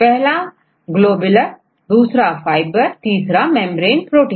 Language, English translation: Hindi, One is a globular protein, fibrous proteins and membrane proteins right